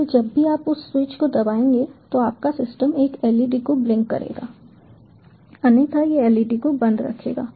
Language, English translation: Hindi, so whenever you are pressing that switch your system will, ah, blink an led, otherwise it will keep the led off